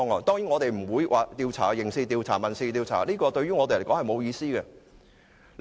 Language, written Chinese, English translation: Cantonese, 當然我們不會進行刑事調查或民事調查，這對我們並沒有意思。, Certainly we will not conduct any criminal or civil inquiries because they are irrelevant to us